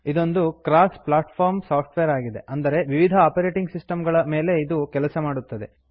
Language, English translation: Kannada, It is a cross platform software, which means it can run on various operating systems